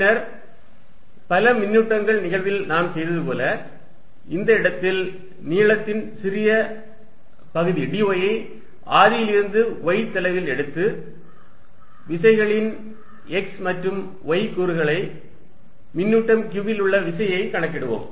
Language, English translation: Tamil, Then, as we did in the case of collection of charges, let me take a small element of length dy at this point at a distance y from the origin and calculate the x and y component of the forces, of the force on charge q